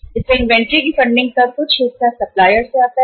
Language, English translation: Hindi, So part of the funding of the inventory comes from the supplier